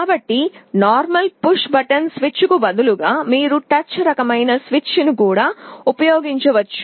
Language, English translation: Telugu, So, instead of a normal push button switch, you can also use a touch kind of a switch